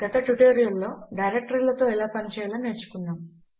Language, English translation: Telugu, In a previous tutorial we have already seen how to work with directories